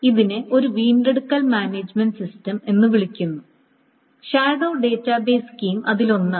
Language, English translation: Malayalam, So recovery management, this is called a recovery management system and the shadow database scheme is one of them